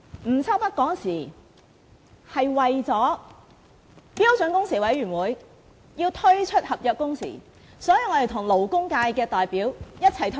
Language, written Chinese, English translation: Cantonese, 吳秋北當時為了標準工時委員會要推出合約工時，跟勞工界代表一起退場。, Stanley NG withdrew from a meeting with representatives of the labour sector when the Standard Working Hours Committee intended to introduce contractual working hours